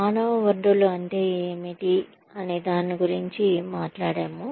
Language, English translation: Telugu, We talked about, what human resources is